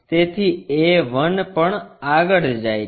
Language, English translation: Gujarati, So, a 1 also moves